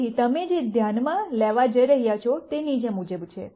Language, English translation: Gujarati, So, what you are going to notice is the following